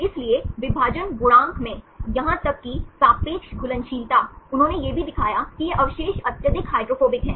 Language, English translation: Hindi, So, in the partition coefficient, even the relative solubility, they also showed that these residues are highly hydrophobic